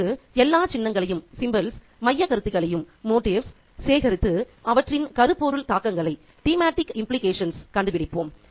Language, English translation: Tamil, Now, let's collect all the symbols, motives and see what their thematic implications are